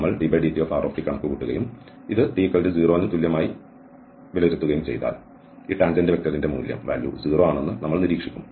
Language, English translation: Malayalam, And we compute dr over dt and evaluate this at t equal to 0 then we will observe that the value of this tangent vector is 0